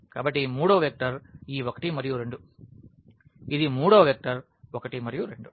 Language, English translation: Telugu, So, the third vector is this 1 and 2; this is the third vector 1 and 2